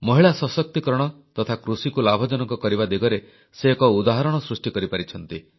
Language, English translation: Odia, She has established a precedent in the direction of women empowerment and farming